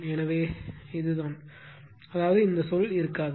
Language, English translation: Tamil, So, it will be it this; that means, this term will not exist